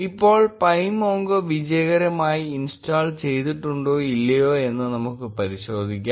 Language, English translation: Malayalam, Now, let us verify whether pymongo has been successfully installed or not